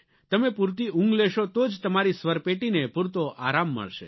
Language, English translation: Gujarati, Only when you get adequate sleep, your vocal chords will be able to rest fully